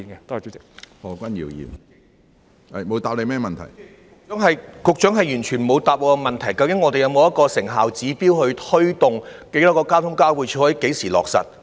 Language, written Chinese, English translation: Cantonese, 主席，局長完全沒有回答我的問題，究竟當局有沒有一個成效指標，推動在公共運輸交匯處落實計劃？, President the Secretary has not answered my question at all . Does the Administration have any performance indicator for promoting the implementation of the scheme at PTIs?